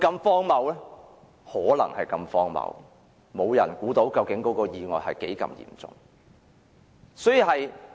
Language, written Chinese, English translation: Cantonese, 事情可能如此荒謬，沒人預計到意外有多嚴重。, This may sound absurd and no one can foresee the severity of the accident